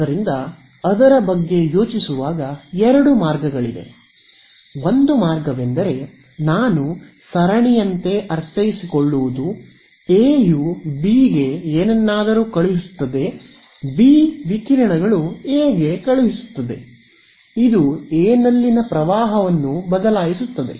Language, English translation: Kannada, So, there are two ways of thinking about it, one way is that a like a I mean like a series A sends something to B, B induces B radiates sends to A, this changes the current in A and so on, back and forth right